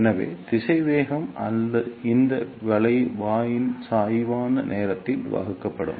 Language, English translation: Tamil, So, the velocity will be distance divided by time that is the slope of this curve